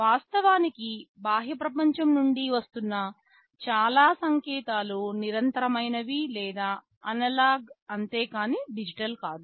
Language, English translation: Telugu, Most of the signals that are coming from the outside world they are continuous or analog in nature, they are not digital